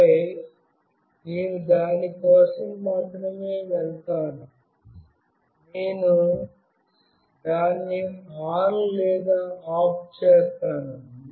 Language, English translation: Telugu, And then only I will go for it, I will make it on or off